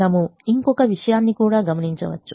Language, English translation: Telugu, we also observe one more thing